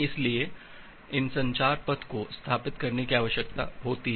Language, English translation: Hindi, So these communication path need to be established